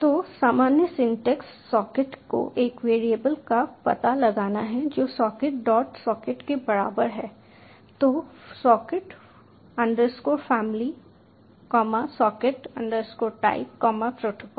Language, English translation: Hindi, so general syntax is locating the socket, a variable which is equal to socket, dot, socket, in socket family, socket type protocol